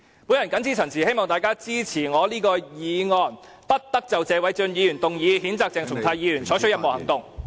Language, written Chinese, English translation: Cantonese, 我謹此陳辭，希望大家支持我提出的"不得就謝偉俊議員動議的譴責議案再採取任何行動"......, With these remarks I urge Members to support the motion that no further action shall be taken on the censure motion moved by Mr Paul TSE